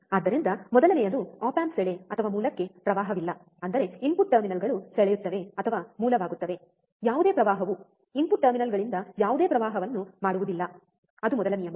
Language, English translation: Kannada, So, first is the input to the op amp draw or source no current; that means, that the input terminals will draw or source, no current there will be no current drawn from the input terminals, that is first rule